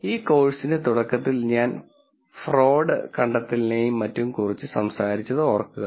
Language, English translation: Malayalam, Remember at the beginning of this course I talked about fraud detection and so on